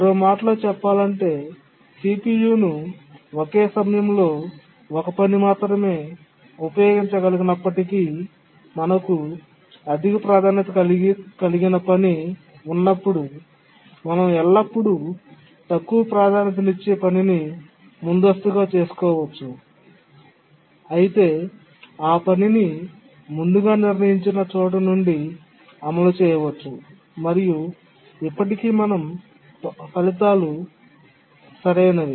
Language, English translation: Telugu, Or in other words, even though CPU can be used by only one task at a time, but then when we have a higher priority task, we can always preempt a lower priority task and later run the task from that point where it was preempted and still our results will be correct